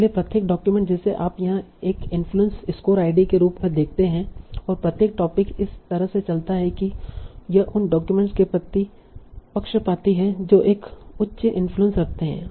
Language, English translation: Hindi, So each document you see here has an inflation score ID and each topic drifts in a way that is biased towards the documents that are having a high influence